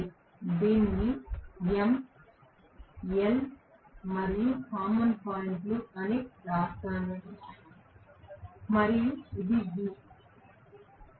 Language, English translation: Telugu, Let me write this as m, l common point and this is the v